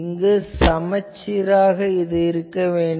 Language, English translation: Tamil, So, this should be symmetric, so here